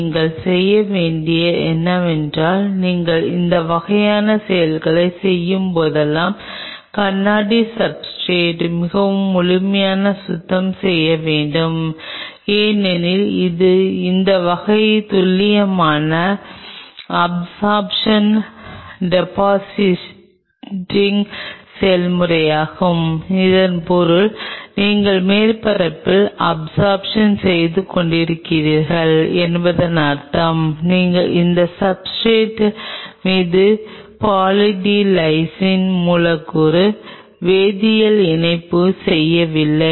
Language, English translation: Tamil, What you have to do is you have to really clean the glass substrate very thoroughly whenever you do this kind because these kind of it is precisely a process of absorption depositing essentially means you are absorbing on the surface you are not doing any chemical coupling of the Poly D Lysine molecule on the substrate